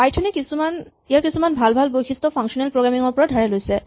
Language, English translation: Assamese, Python has actually borrowed some of itÕs nice features from functional programming